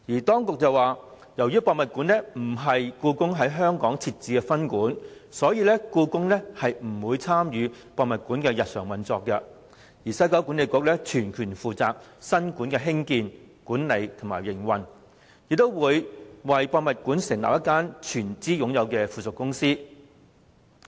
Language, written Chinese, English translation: Cantonese, 當局指，由於故宮館並非故宮在香港設置的分館，所以故宮不會參與故宮館的日常運作，西九文化區管理局會全權負責故宮館的興建、管理和營運，亦會成立一間由西九管理局董事局全資擁有的附屬公司。, The authorities also pointed out that since HKPM would not be a branch of the Beijing Palace Museum the Beijing Palace Museum would not participate in the daily operation of HKPM . The West Kowloon Cultural District Authority WKCDA would be solely responsible for building managing and operating HKPM and a wholly - owned subsidiary company would be set up under the WKCDA Board